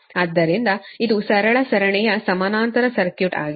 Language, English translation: Kannada, so it is a simple series parallel circuit, right, the whole